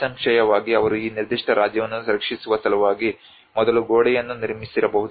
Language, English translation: Kannada, Obviously they might have built a wall before in order to protect this particular kingdom